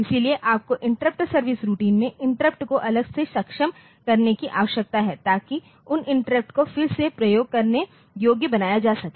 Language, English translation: Hindi, So, you need to enable the interrupts separately in the interrupt service routine to start to able to make those interrupts again usable